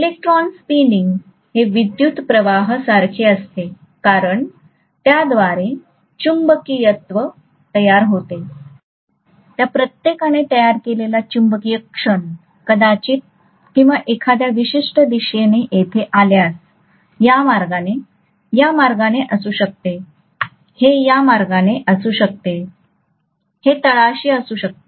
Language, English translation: Marathi, So the electron spinning is equivalent to a current because of which magnetism is produced and the magnetic moment created by each of them probably or in a particular direction if it is here, this way, this may be this way, this may be this way, this may be at the bottom